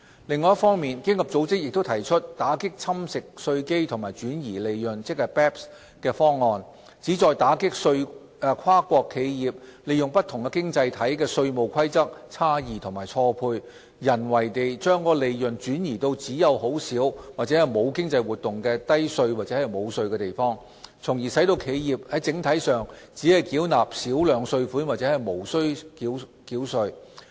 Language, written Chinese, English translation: Cantonese, 另一方面，經合組織亦提出打擊侵蝕稅基及轉移利潤的方案，旨在打擊跨國企業利用不同經濟體的稅務規則差異及錯配，人為地將利潤轉移至只有很少或沒有經濟活動的低稅或無稅地方，從而使企業整體上只繳納少量稅款或無需繳稅。, On the other hand OECD also put forward a package to combat base erosion and profit shifting BEPS that exploits the gaps and mismatches in tax rules among economies to artificially shift profits to low or no - tax locations where there is little or no economic activity resulting in little or no overall corporate tax being paid